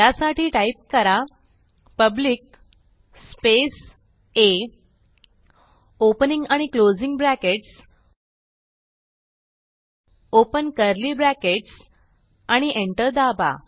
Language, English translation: Marathi, So type public A opening and closing brackets, open the curly brackets press Enter